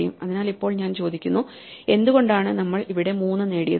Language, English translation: Malayalam, So, we ask ourselves why we did we get a 3 here